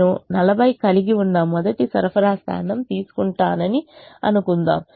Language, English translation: Telugu, i suppose i take the first supply point, which has forty